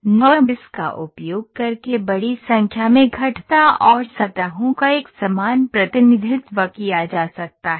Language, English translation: Hindi, Uniform representation of large variety of curves and surfaces can be done by using NURBS